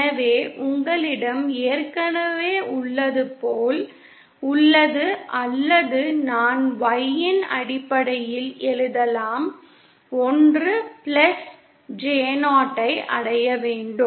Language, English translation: Tamil, So you have already or I can write in terms of Y in you have to achieve 1 plus J 0